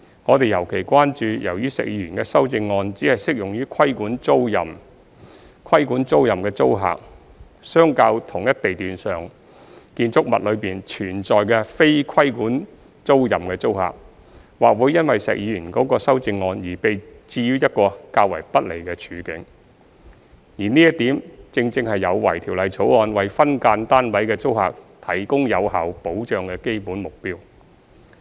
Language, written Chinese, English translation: Cantonese, 我們尤其關注，由於石議員的修正案只適用於規管租賃，規管租賃的租客，相較同一地段上的建築物內存在的非規管租賃的租客，或會因石議員的修正案而被置於一個較為不利的處境，而這點正有違《條例草案》為分間單位的租客提供有效保障的基本目標。, We are particularly concerned that as Mr SHEKs amendments only apply to the regulated tenancies tenants of regulated tenancies may be placed at a greater disadvantage than tenants of non - regulated tenancies in a building on the same lot because of Mr SHEKs amendment . This is against the fundamental objective of the Bill which is to provide effective protection to SDU tenants